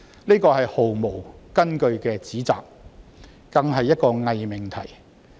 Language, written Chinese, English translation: Cantonese, 這是毫無根據的指責，更是一個偽命題。, This is an unfounded accusation and a pseudo proposition